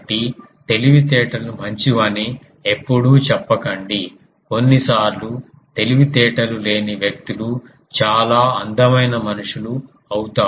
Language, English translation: Telugu, So, do not always say that intelligence is good sometimes non intelligent persons becomes very beautiful human beings